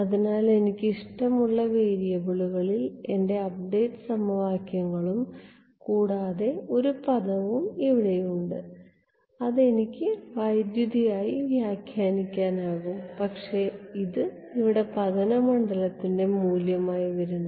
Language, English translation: Malayalam, So, I have my update equations in the variables of my choice plus one term over here which I can interpret as a current, but it is coming exactly as the value of incident field over here